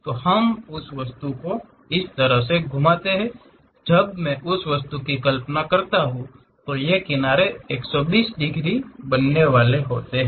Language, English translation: Hindi, So, we have to rotate that object in such a way that; when I visualize that object, these edges supposed to make 120 degrees